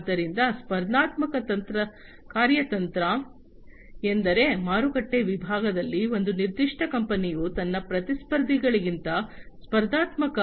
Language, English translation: Kannada, So, competitive strategy means, the strategy of a particular company to gain competitive advantage over its competitors, in the market segment